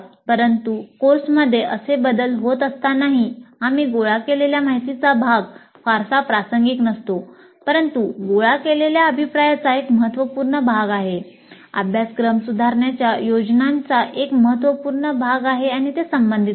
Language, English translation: Marathi, But even when such changes occur in the course, part of the information that we have collected may not be very much relevant, but a substantial part of the feedback collected, a substantial part of the plans for improving the course, there will remain relevant